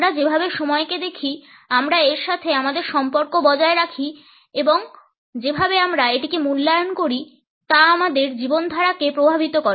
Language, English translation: Bengali, The way we look at time, we maintain our association with it and the way we value it, affects the lifestyle